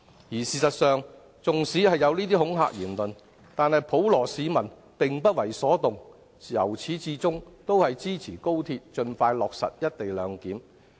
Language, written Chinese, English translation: Cantonese, 而事實上，縱使有這些恐嚇言論，普羅市民仍不為所動，由始至終支持高鐵盡快落實"一地兩檢"。, And as a matter of fact the general public is indifferent to these intimidating comments and supports the early implementation of the co - location arrangement unwaveringly